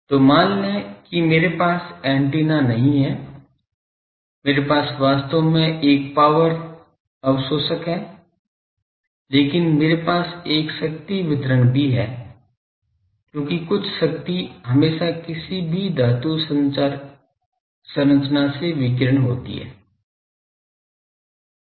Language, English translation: Hindi, So, suppose I do not have a good directed ah sorry, I do not have an antenna suppose I have a actually an power absorber , but that me also have a power distribution because some power will always be radiated from any metallic structure